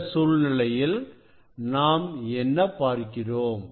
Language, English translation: Tamil, in this situation what we will see